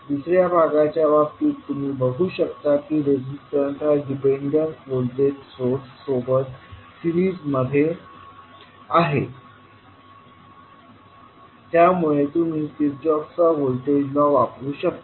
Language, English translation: Marathi, In case of second part you will see that the resistances in series with dependent voltage source so you will use Kirchhoff’s voltage law